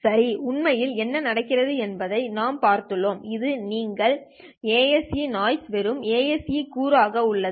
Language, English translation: Tamil, Well, we have looked at what happens actually you get this ASC not just as the ASC component